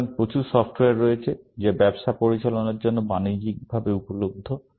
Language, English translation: Bengali, So, there is lots of software, which is commercially available for managing business